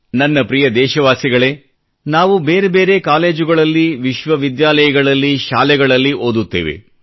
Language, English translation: Kannada, My dear countrymen, all of us study in myriad colleges, universities & schools